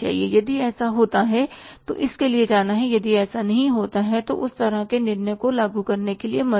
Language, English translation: Hindi, If it doesn't happen then don't go for implementing that kind of the decision